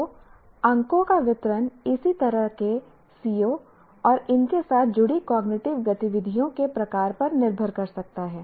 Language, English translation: Hindi, So the distribution of marks can correspondingly depend on the kind of COs and the kind of cognitive activities associated with them